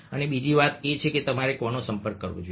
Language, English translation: Gujarati, and second thing, that who is should you get in touch with